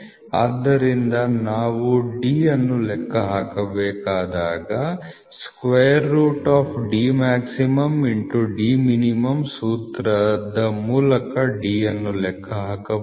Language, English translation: Kannada, So, when we have to calculate D can be calculated from the formula root of D max into D min, ok